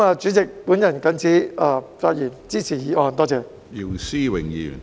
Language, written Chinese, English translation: Cantonese, 主席，我謹此發言，支持議案，多謝。, With these remarks President I support the motion . Thank you